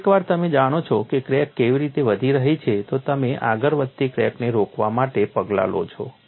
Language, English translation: Gujarati, So, once you know the crack is growing, you take steps to stop an advancing crack